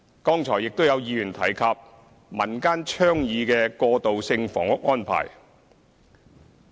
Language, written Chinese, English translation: Cantonese, 剛才亦有議員提及民間倡議的過渡性房屋安排。, Some Members just now mentioned transitional housing arrangements in the form of community initiatives